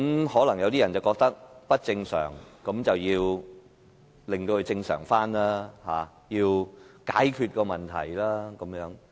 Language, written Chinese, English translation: Cantonese, 可能有些人覺得情況不正常，便要令它回復正常，要解決問題。, Perhaps some people consider the conditions abnormal and so it is necessary to resume normal in order to solve the problem